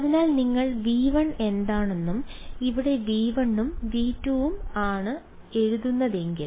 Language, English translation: Malayalam, So, if you just write down what is V 1 and V 2 over here this is V 1 and V 2